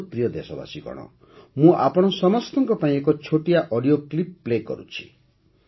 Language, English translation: Odia, My dear countrymen, I am playing a small audio clip for all of you